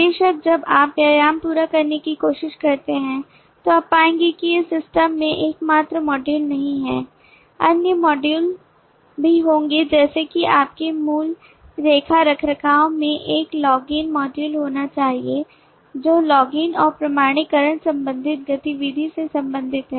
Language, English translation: Hindi, of course when you try to complete the exercise you will find that these are not the only modules in the system there would be other modules like your basic accounting maintenance has to be a login module which deals with the login and authentication related activity